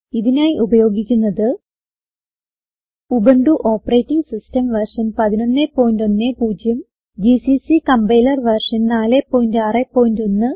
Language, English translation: Malayalam, To record this tutorial, I am using, Ubuntu Operating System version 11.10, gcc Compiler version 4.6.1